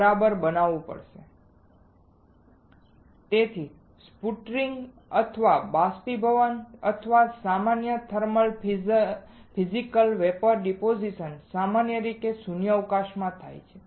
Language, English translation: Gujarati, So, sputtering or evaporation or in general thermal Physical Vapor Deposition is usually done in a vacuum